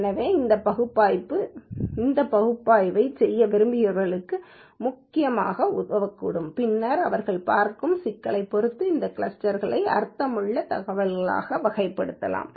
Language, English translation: Tamil, So, this information can essentially help the people who wanted to do this analysis and then categorize these clusters into meaningful information depending upon the problem they are looking at